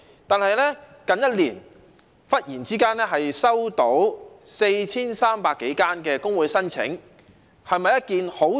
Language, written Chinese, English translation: Cantonese, 但是，近1年來，忽然收到 4,300 多個工會的申請，對工會來說，是否一件好事呢？, However over the past year suddenly more than 4 300 applications for registration of trade unions have been received . Is it a good thing for trade unions?